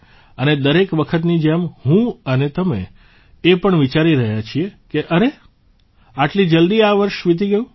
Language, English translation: Gujarati, And like every time, you and I are also thinking that look…this year has passed so quickly